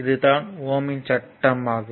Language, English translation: Tamil, So, this if this relationship is known as your Ohm’s law